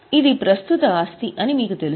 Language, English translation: Telugu, You know it's a current asset